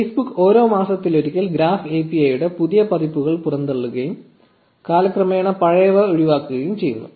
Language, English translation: Malayalam, So, Facebook regularly pushes out newer versions of the graph API every few months and gets rids of the old ones over time